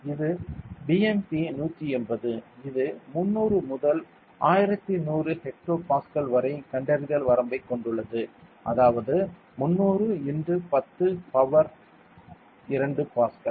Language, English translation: Tamil, And this BMP180 ok, it has a detection range of 300 to 1100 hecto Pascal, that is equal to 300 into 10 power 2 Pascal